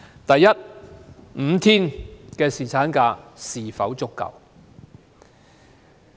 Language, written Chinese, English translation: Cantonese, 第一 ，5 天侍產假是否足夠？, First of all is a five - day paternity leave sufficient?